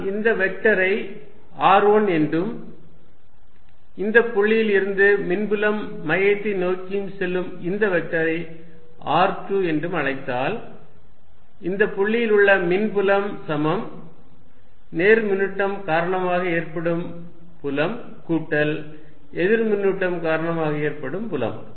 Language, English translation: Tamil, If I call this vector r1 and call this vector from the point where I am calculating the electric field towards the centre r2, then the electric field at this point is equal to some due to the field due to the positive charge plus that due to the negative charge